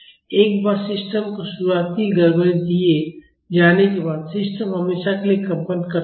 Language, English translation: Hindi, Once initial disturbance is given to the system, the system will continue vibrating forever